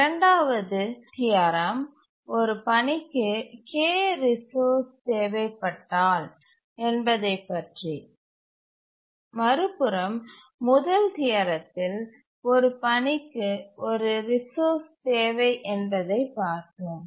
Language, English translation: Tamil, The second theorem is that if a task needs K resources, the first one we had looked at one resource needed by a task